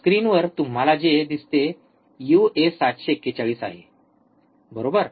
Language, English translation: Marathi, In the screen what you see there is a uA741, right